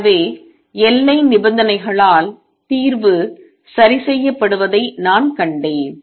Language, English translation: Tamil, So, one I have seen that solution is fixed by boundary conditions